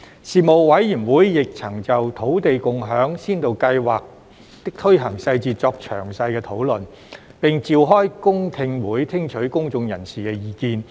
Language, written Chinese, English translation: Cantonese, 事務委員會亦曾就土地共享先導計劃的推行細節作詳細討論，並召開公聽會聽取公眾人士意見。, The Panel conducted detailed discussions on the proposed implementation details for the Land Sharing Pilot Scheme and received public views on the Pilot Scheme in a public hearing session